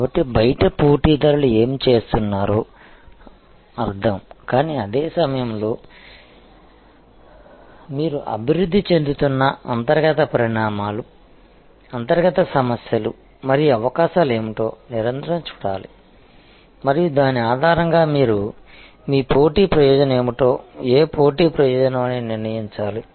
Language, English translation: Telugu, So, outside means what the competitors are doing, but at the same time you have to constantly look at what are the internal developments, internal problems and opportunities that are evolving and based on that you have to determine that what will be your competitive advantage, what competitive advantage you will target